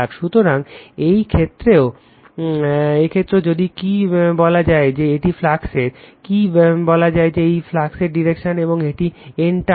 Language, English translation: Bengali, So, in this case also, if you your what you call that this is the your what you call this is the direction of the your what you call direction of the flux right, and this is your N turn